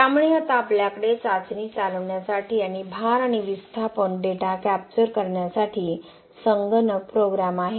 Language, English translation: Marathi, So now we have the computer program to run the test and capture the load and displacement data